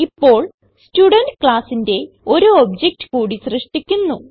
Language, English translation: Malayalam, Now, I will create one more object of the Student class